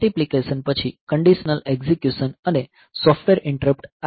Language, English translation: Gujarati, Multiplication then conditional execution and software interrupts